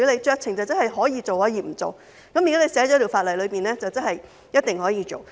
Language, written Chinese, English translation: Cantonese, 酌情代表他可以做，亦可以不做，但如果法例訂明了，即是一定可以做。, Discretion means that it is up to him to do it or not but if it is clearly stipulated in the legislation that means he can certainly do it